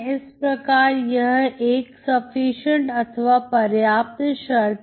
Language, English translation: Hindi, So this is a sufficient condition